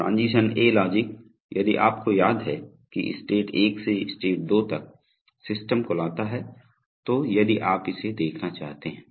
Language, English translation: Hindi, The transition A logic, if you recall brings the system from state 1 to state 2, so if you wanted to see that